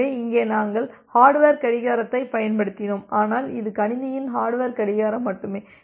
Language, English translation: Tamil, So, here we used the hardware clock, but only the hardware clock of my machine